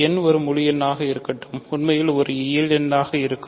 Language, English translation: Tamil, So, let n be an integer, will be actually a natural number